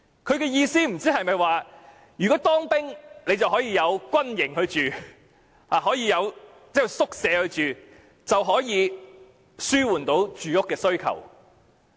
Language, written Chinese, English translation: Cantonese, 他的意思不知是否當兵就可以入住軍營宿舍，從而紓緩住屋需求？, Does he mean that since those who serve in the military can live in barracks the housing demand can thus be alleviated?